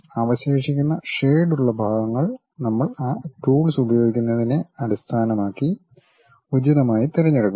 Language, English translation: Malayalam, Remaining shaded portions we pick appropriately based on that we use those tools